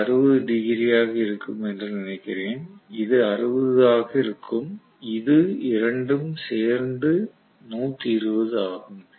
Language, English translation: Tamil, This will be 60 I suppose, this will also be 60 right totally this is 120 between A and C it is 120